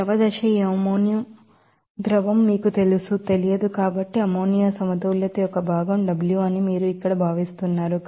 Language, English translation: Telugu, Here since the liquid phase this amonia liquid is you know, unknown so, you are assuming here that the fraction of amonia balance is W